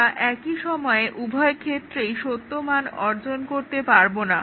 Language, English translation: Bengali, We cannot have both true achieved at the same time